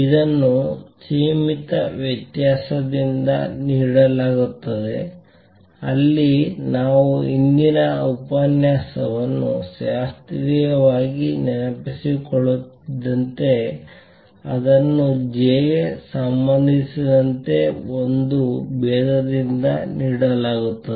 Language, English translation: Kannada, This is given by finite difference, right where as we recall the previous lecture in classically, it is given by a differentiation with respect to j